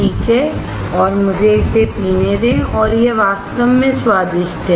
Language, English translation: Hindi, Alright and let me sip it and it is really delicious